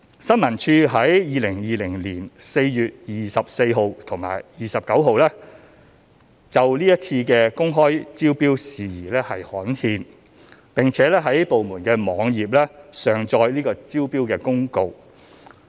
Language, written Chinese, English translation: Cantonese, 新聞處於2020年4月24日及29日就是次公開招標事宜刊憲，並在部門網頁上載招標公告。, ISD published a notice on the tendering exercise concerned in the Gazette on 24 April and 29 April 2020 and uploaded it onto the ISDs website